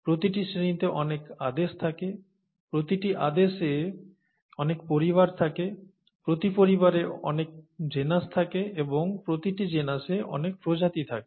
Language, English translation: Bengali, Each class has many orders, each order has many families, each family has many genuses, and each genus has many species